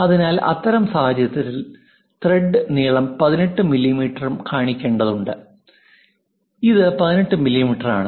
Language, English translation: Malayalam, So, then in that case the thread length 18 mm also has to be shown this is the 18 mm